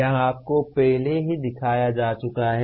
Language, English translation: Hindi, It has been already shown to you